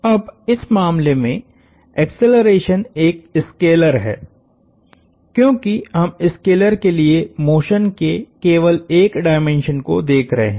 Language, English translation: Hindi, Now, in this case, the acceleration is a scalar, because we are only looking at one dimension of motion of the scalar